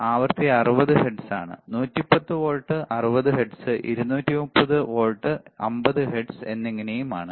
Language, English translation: Malayalam, The frequency is 60 hertz, right; 110 volt 60 hertz, 230 volts 50 hertz right